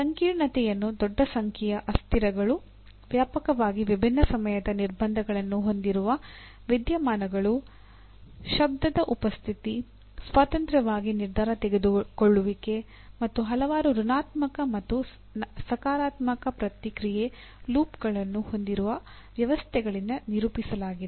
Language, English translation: Kannada, Now coming to what is a complex, complexity is characterized by large number of variables, phenomena with widely different time constraints, presence of noise, independent multiple decision making, and or systems with a number of negative and positive feedback loops